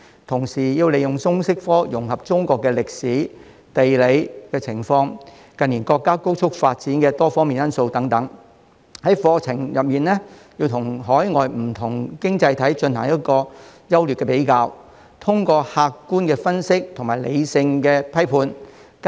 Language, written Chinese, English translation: Cantonese, 同時，要利用通識科融合中國歷史和地理情況，以及近年國家高速發展的多方面因素等，在課程中與海外不同經濟體進行優劣的比較，並作出客觀分析和理性批判。, In addition there is also a need to integrate the LS subject into the history and geography of China and the various factors that have contributed to the rapid developments of our country in recent years . This would enable the comparison of pros and cons with other overseas economies and the making of objective analysis and critical judgments